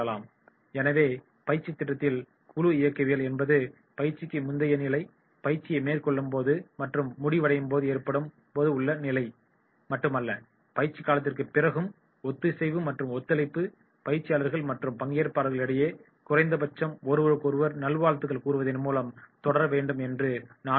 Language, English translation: Tamil, So, I wish that is the group dynamics in the training program will not be only the pre and during development and during concluding, but even after the training program there will be the cohesiveness and the well wishes amongst the trainers and trainees, thank you